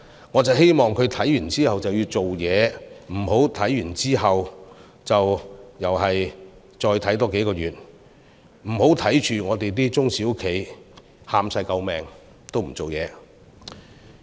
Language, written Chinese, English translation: Cantonese, 我希望他觀望後就要做事，不要觀望後又再觀望多數個月，不要看着本港的中小企求救也不處理。, He replied that he needed to monitor the development . I hope that he can act after monitoring instead of further monitoring for another few months . Please do not just look at SMEs in Hong Kong crying out for help without taking any action